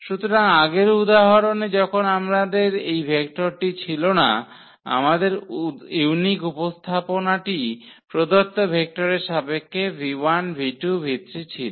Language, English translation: Bengali, So, the earlier example when we did not have this vector there, we have the unique representation of the of this v 1 v 2 v 3 in terms of the given vectors